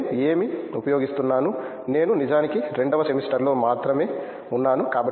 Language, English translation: Telugu, What I use to, I am actually in the second semester only